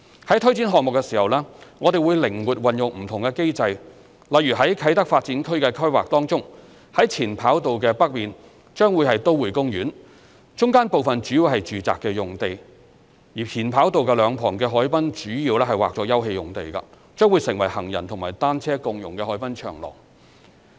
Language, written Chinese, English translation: Cantonese, 在推展項目時，我們會靈活運用不同機制，例如在啟德發展區的規劃中，在前跑道的北面將會是都會公園，中間部分主要是住宅用地，前跑道兩旁的海濱主要劃作休憩用地，將成為行人和單車共融的海濱長廊。, In the course of project delivery we will make use of different mechanisms with flexibility . For instance in the planning of the Kai Tak Development Area a Metro Park will be built to the north of the former runway while the central part will mainly be zoned for residential use and the waterfront area on both sides of the former runway will be zoned Open Space for development of a waterfront promenade for shared use by pedestrians and cyclists